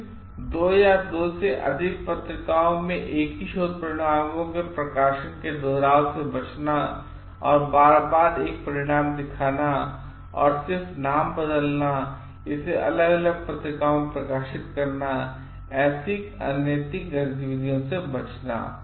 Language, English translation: Hindi, Then, avoiding duplication of publication in the same work in 2 or more journals and not like showing one result again and again and just changing the name and getting it published in different different journals